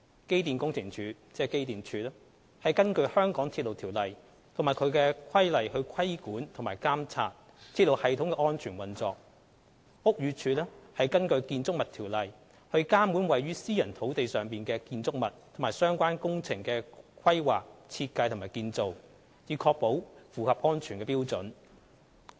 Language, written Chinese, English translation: Cantonese, 機電工程署根據《香港鐵路條例》及其規例規管及監察鐵路系統的安全運作；屋宇署則根據《建築物條例》監管位於私人土地上的建築物及相關工程的規劃、設計及建造，以確保符合安全標準。, The Electrical and Mechanical Services Department EMSD regulates and monitors the safe operation of the railway system according to the Mass Transit Railway Ordinance and its subsidiary regulations . The Buildings Department BD regulates the planning design and construction of buildings and associated works on private land to prescribe building safety standards according to the Buildings Ordinance BO